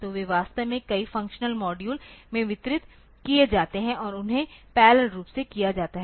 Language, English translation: Hindi, So, they are actually the distributed into a number of functional modules and they are done parallelly